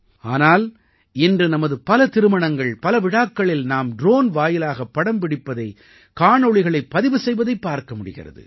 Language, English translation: Tamil, But today if we have any wedding procession or function, we see a drone shooting photos and videos